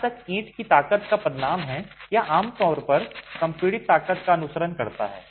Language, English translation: Hindi, As far as the designation of the strength of the brick, it typically follows the compressive strength